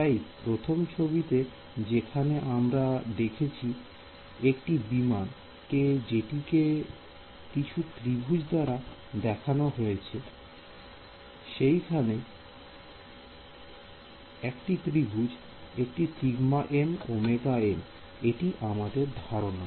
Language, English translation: Bengali, So, in that first picture where we saw that aircraft which was sort of broken up into triangles, each triangle is like this one sigma m omega m that is the idea